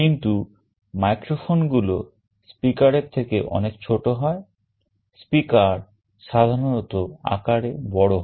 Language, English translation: Bengali, But, microphones are much smaller than a speaker, typically speakers are large in size